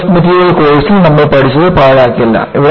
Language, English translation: Malayalam, The strength of material course, what you have done is not a waste